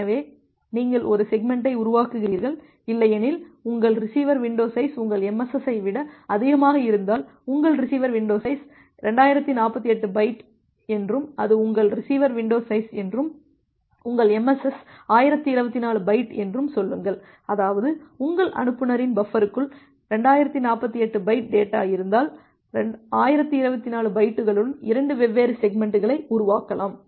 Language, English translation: Tamil, So, you construct a single segment, otherwise if that is the case if your receiver window size is more than your MSS, say your receiver window size is 2048 byte and that is your receiver window size and your MSS is 1024 byte; that means, you can if you have 2048 byte of data in your inside your sender buffer, then you can create 2 different segments with 1024 bytes